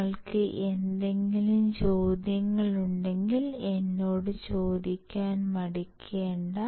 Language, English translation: Malayalam, If you have any questions feel free to ask me